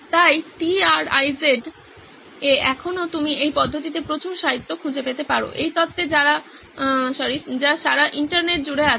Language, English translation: Bengali, So TRIZ still sticks you can find lots of literature in this method, in this theory all across the internet